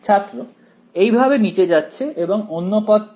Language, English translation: Bengali, Going down like this right, the other term